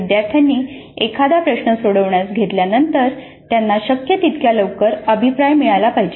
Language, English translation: Marathi, So, once learners engage with the problem, they must receive feedback as quickly as possible